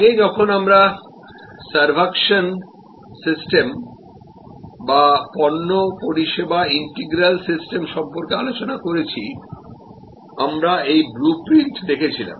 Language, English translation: Bengali, As earlier when we discussed about the servuction system or product service integral system, we looked at this blue print